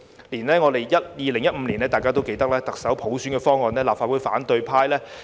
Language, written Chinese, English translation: Cantonese, 大家也記得，連2015年特首普選方案也遭立法會反對派否決。, As you may recall even the proposal for selecting the Chief Executive by universal suffrage in 2015 was voted down by the opposition in the Legislative Council